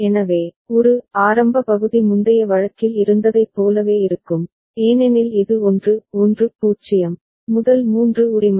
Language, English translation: Tamil, So, at a initial part will be similar to what we had in the previous case, because it is 1 1 0, the first three right